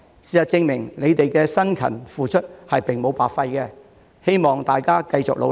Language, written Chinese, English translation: Cantonese, 事實證明他們的辛勤付出並無白費，希望大家繼續努力。, The facts prove that their strenuous efforts have not been wasted . I hope that they keep up with their hard work